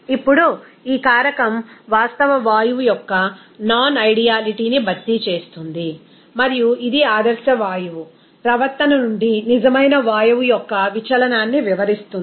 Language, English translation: Telugu, Now, this factor actually compensates for the non ideality of the gas and it describes of the deviation of a real gas from ideal gas behavior